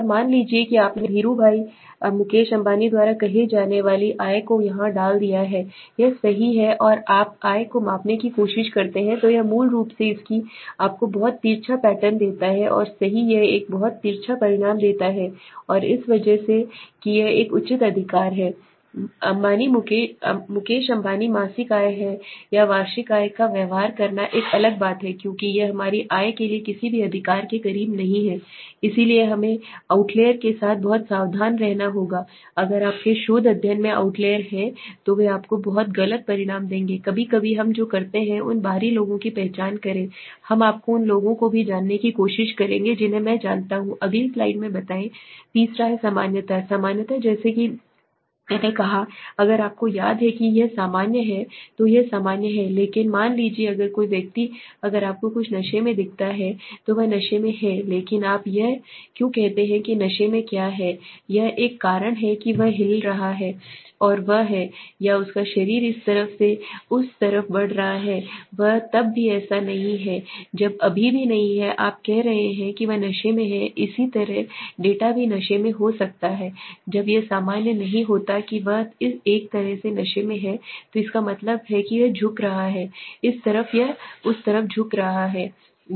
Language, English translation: Hindi, And suppose suddenly you insert the income of let say there by Dhiru bhai Mukesh Ambani into it right and you try to measure the income then it is basically its gives you very skewed pattern right it gives a very skewed result and that is because of the one of the this is an outlier right Ambani is Mukesh Ambani is income monthly or annual income would behave is an outlier because it is not close to any of a ours income right, so we have to b very careful with outliers if there are outliers in your research study then they would give you very wrong results okay so identify those outliers sometimes what we do is we also try to code you know even people I will explain that in the next slide